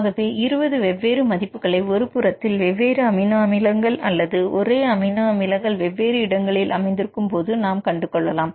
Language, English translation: Tamil, So, for getting the 20 different values same protein is different amino acid residues are same amino acid residues at different locations you have different numbers